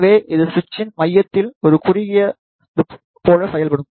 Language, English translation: Tamil, So, it will act like a short at the centre of the switch